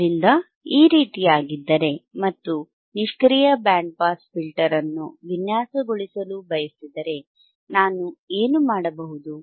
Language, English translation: Kannada, So, if this is the case and if I want to design passive band pass filter, then what can I do